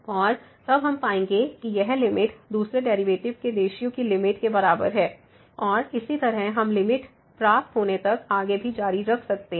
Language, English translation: Hindi, And, then we will get this limit is equal to the limit of the ratio of the second derivatives and so on we can continue further till we get the limit